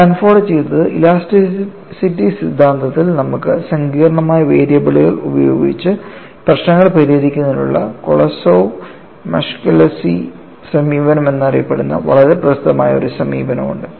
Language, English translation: Malayalam, And what Sanford did was, in theory of elasticity you have a very famous approach known as Kolosov Muskhelishvili approach for solving problems using complex variables